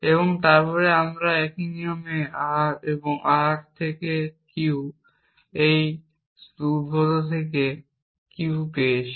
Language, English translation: Bengali, And then we derived R by the same rule then from R and R and Q with a derived Q